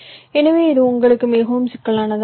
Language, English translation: Tamil, ok, so this will become too complicated for you